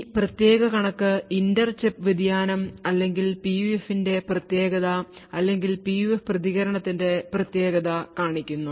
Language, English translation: Malayalam, This particular figure shows the inter chip variation or the uniqueness of the PUF or the uniqueness of the PUF response